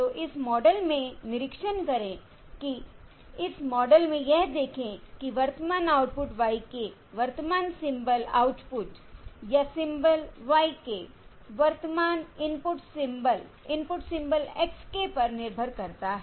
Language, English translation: Hindi, So observe that in this model, in this model, observe that the current output y k on the current symbol output or symbol y k, depends only on the current input symbol, input symbol x k